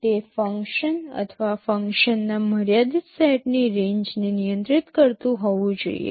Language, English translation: Gujarati, It should control a function or a range of limited set of functions